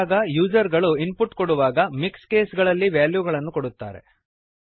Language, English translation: Kannada, Often, when users give input, we have values like this, in mixed case